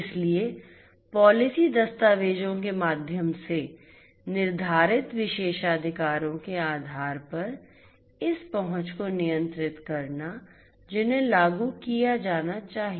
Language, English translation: Hindi, So, controlling this access based on the privileges that are you know dictated through the policy documents those should be implemented